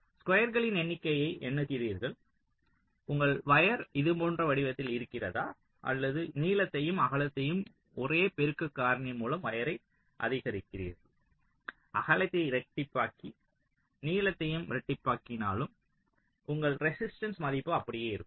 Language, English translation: Tamil, so whether your wire is of shape like this: or you increase the wire in terms of the length and the width by the same multiplicative factor, make the width double and make the length also double, your resistance value will remain the same